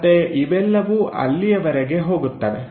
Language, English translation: Kannada, Again, it goes all the way there